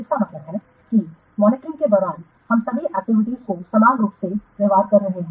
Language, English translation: Hindi, That means during monitoring we are treating all the activities as the similar footing